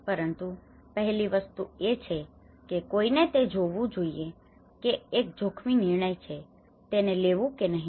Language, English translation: Gujarati, But the first thing is one has to look at; it is a very risky decision whether to take it or not